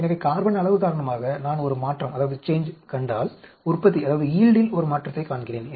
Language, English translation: Tamil, So, if I see a change because of carbon amount, I see a change in the yield